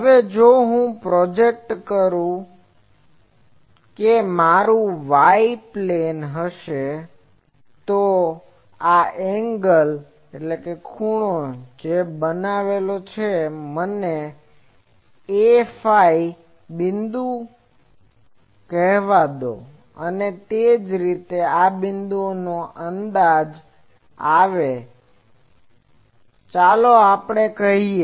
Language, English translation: Gujarati, Now, if I if I project this in the sorry this will be my y plane, then this angle that is made that let me call a phi dashed point and similarly, if the this point is projected; let us say here